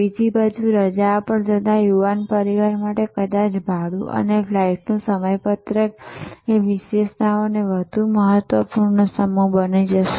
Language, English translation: Gujarati, On the other hand for a young family going on holiday perhaps fare and the flight schedules will be the timings will become more important set of attributes